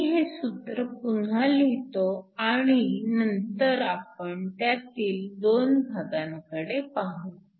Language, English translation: Marathi, Let me rewrite this expression and we can look at the 2 parts of it